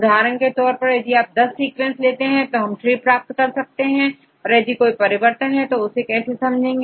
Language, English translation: Hindi, For example, if you give 10 sequences, it will construct a tree right and what will happen if there is a change right